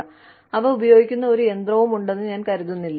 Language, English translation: Malayalam, I do not think, there is any machine, that uses those, anymore